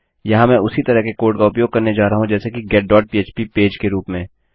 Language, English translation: Hindi, Here I am going to use the same code as that of the get.php page